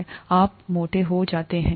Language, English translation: Hindi, Then you get fat